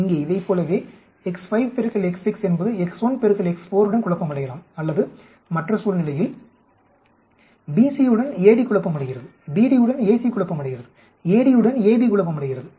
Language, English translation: Tamil, Like here x 5 into x 6 can confound with x 1 into x 4 or in the other situation BC is confounding with AD, BD is confounding with AC, AD is confounding with AB